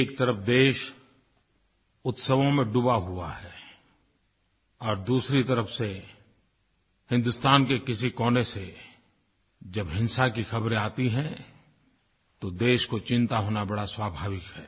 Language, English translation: Hindi, When on the one hand, a sense of festivity pervades the land, and on the other, news of violence comes in, from one part of the country, it is only natural of be concerned